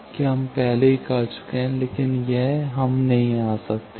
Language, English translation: Hindi, That we have already done, but this one we cannot come